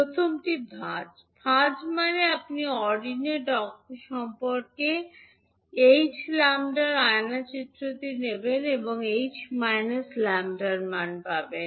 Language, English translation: Bengali, First is folding, folding means you will take the mirror image of h lambda about the ordinate axis and obtain the value of h minus lambda